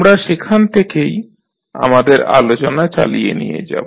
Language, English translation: Bengali, So, we will continue our discussion from that point onwards